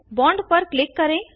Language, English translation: Hindi, Click on the bond